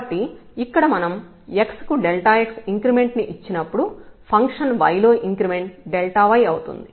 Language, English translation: Telugu, So, here when we make an increment delta x then there was a increment delta y in the function y